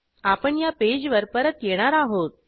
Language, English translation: Marathi, We will come back to this page